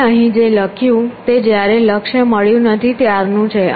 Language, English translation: Gujarati, What I written here is while goal not found